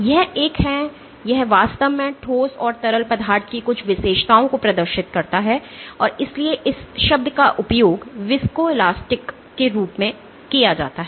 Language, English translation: Hindi, So, it is a, it actually exhibits some characteristics of solids and liquids, and hence the term is used as viscoelastic